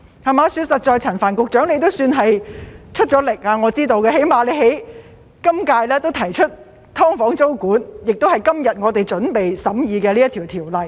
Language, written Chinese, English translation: Cantonese, 實在的說，我知道陳帆局長也算出力，他起碼在今屆提出了"劏房"租管，就是今天我們準備審議的《條例草案》。, To be honest I know that Secretary Frank CHAN has made much efforts at least he has proposed to introduce tenancy control on SDUs in this term by means of the Bill which we are going to scrutinize today